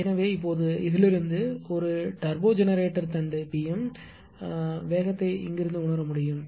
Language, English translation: Tamil, So, now from this ah for this is a turbo generator shaft this is pm, but speed can be sensed from here